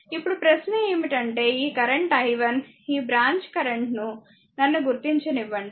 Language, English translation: Telugu, Now, question is that your ah this current is i 1 , ah this this branch current let me mark it for you